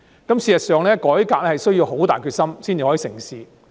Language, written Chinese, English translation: Cantonese, 事實上，改革需要很大決心才能成事。, In fact it takes dogged determination to make reform succeed